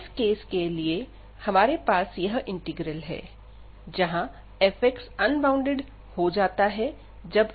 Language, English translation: Hindi, So, for the case when we have this integral, where f x becomes unbounded as x goes to b